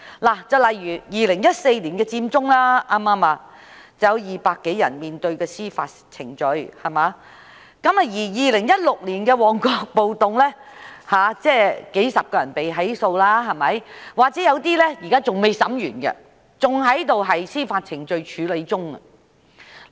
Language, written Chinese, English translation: Cantonese, 例如2014年的佔中，便有200多人面對司法程序 ；2016 年的旺角暴動，也有數十人被起訴，有些現在審訊還未完成，仍在司法程序處理中。, An example is the Occupy Central movement in 2014 as a result of which more than 200 people have faced judicial proceedings; for the Mong Kok Riot in 2016 prosecution has been brought against dozens of people and for some of these cases hearings have not yet completed and they are still at the stage of court proceedings